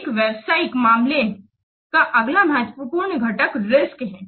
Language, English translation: Hindi, Next important component of a business case is the risk